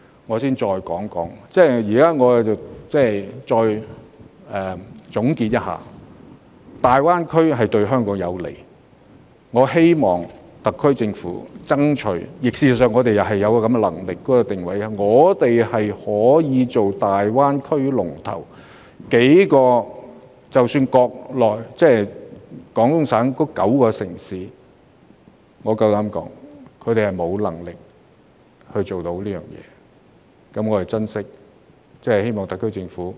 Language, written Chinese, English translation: Cantonese, 我現時稍作總結：大灣區的發展對香港有利，我希望特區政府會爭取香港成為大灣區的龍頭，因為我們確實具備這個能力，而廣東省的9個城市，我敢說他們沒有能力做得到。, I conclude for the time being by saying that the development of GBA is beneficial to Hong Kong and I hope that the SAR Government will endeavour to make Hong Kong the leader of GBA because we do have all the makings of a leader and I dare say that none of the nine cities in Guangdong Province has that capability